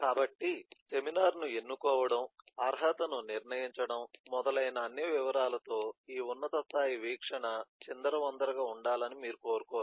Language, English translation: Telugu, so you do not want this top level view to be cluttered with all these details of selecting the seminar, determining the eligibility and so on at the same time